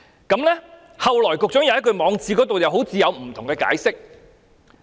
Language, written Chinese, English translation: Cantonese, 局長後來在網誌又好像有不同的解釋。, It appears that the Secretary had a different explanation in his blog afterwards